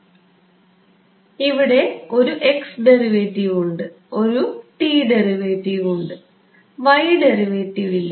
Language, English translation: Malayalam, So, there is a x derivative, there is a t derivative, there is no y derivative correct